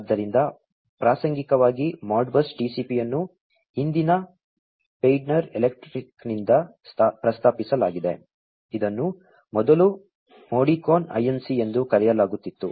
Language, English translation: Kannada, So, incidentally Modbus TCP has been proposed by present day Schneider electric, which was earlier known as the Modicon Inc